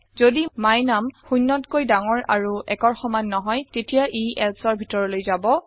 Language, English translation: Assamese, The value of my num is neither greater than 0 nor equal to 1 it will go into the else section